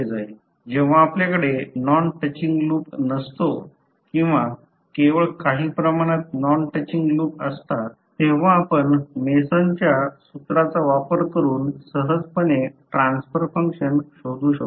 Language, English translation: Marathi, So generally when you have no non touching loop or only few non touching loop you can utilize the Mason’s formula easily find out the transfer function